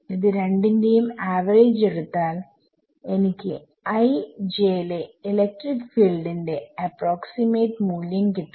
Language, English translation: Malayalam, So, if I take the average of those two I will get an approximate value of the electric field at i comma j